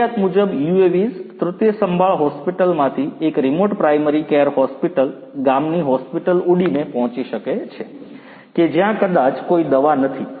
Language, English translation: Gujarati, UAVs as per requirement can be flown from a tertiary care hospital, to a remote primary care hospital, a village hospital, where maybe there is no drug